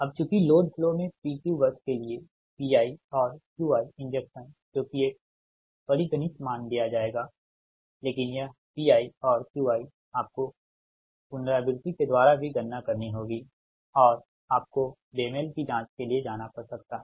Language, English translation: Hindi, so, because in lot flow that the injection, pi and qi injection for pq bus a that it will be, is that schedule value will be given, right, but this pi and qi you have to calculate also iteratively and you have to make go for checking the mismatch